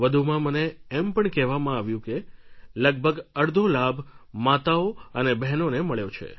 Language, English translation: Gujarati, And I have been told that almost half the beneficiaries are women, the mothers and the daughters